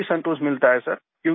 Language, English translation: Hindi, We also get satisfaction sir